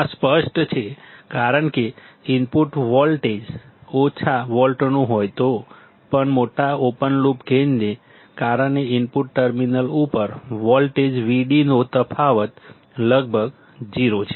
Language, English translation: Gujarati, This is obvious because even if the input voltage is of few volts; due to large open loop gain the difference of voltage Vd at the input terminals is almost 0